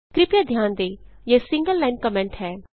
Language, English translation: Hindi, Please note this is a single line comment